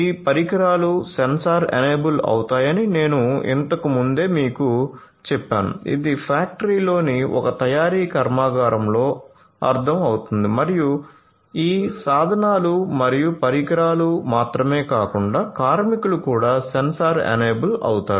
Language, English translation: Telugu, So, this is what I was telling you earlier that your devices are going to be sensor enabled this is understood in a manufacturing plant in a factory and so on, but not only these tools and devices, but also the workers are going to be sensor enable